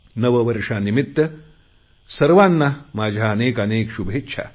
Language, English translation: Marathi, My greetings to everybody on this auspicious occasion of New Year